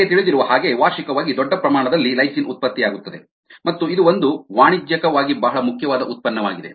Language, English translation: Kannada, you know, ah, large amounts of ah lysine are produced annually and therefore its a its commercially a very important product